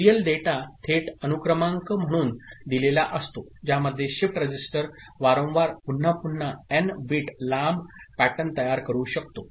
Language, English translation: Marathi, With serial data out fed back directly as serial data in which shift register can generate up to n bit long pattern repeatedly, repetitively